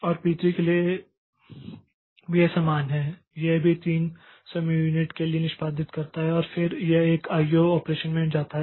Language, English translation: Hindi, P3 also it executes for three time units and then it goes into an I